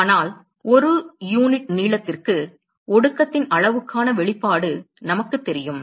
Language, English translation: Tamil, But we know the expression for the amount of condensate per unit length